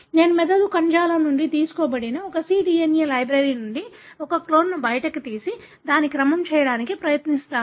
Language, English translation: Telugu, So, I pull out a clone from, say a cDNA library derived from the brain tissue and then I try to sequence it